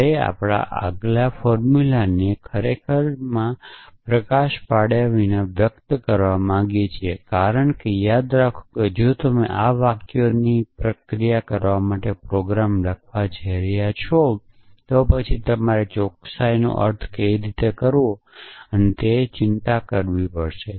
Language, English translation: Gujarati, So, we want to express our formulas without actually lighting down the quantifies because remember that if you going to write programs to process these sentences, then you have to in worry about how to interpret the quantifies and so on